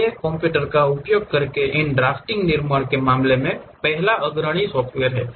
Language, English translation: Hindi, These are the first pioneers in terms of constructing these drafting using computers